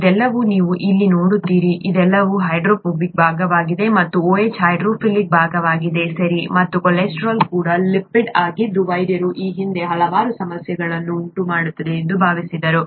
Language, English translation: Kannada, You see all this here, all this is the hydrophobic part, and this OH is the hydrophilic part, okay, and the cholesterol is also a lipid that doctors thought caused so many problems earlier